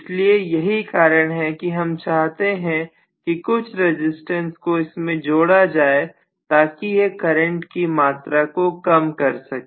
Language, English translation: Hindi, So that is the reason why we want to include some resistance which will actually reduce the amount of current